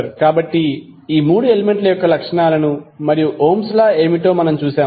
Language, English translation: Telugu, So, we also saw that the property of these 3 elements and also saw what is the Ohms law